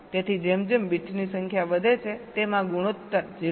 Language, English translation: Gujarati, so as the number of bits increases, this ratio approaches point five